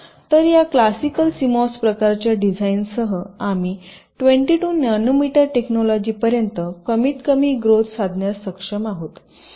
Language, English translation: Marathi, so with this classical cmos kind of design we have here we have been able to sustain the growth up to as small as twenty two nanometer technology